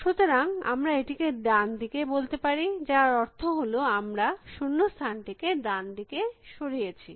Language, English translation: Bengali, So, let us say that we call this right, which means I have move the blank to the right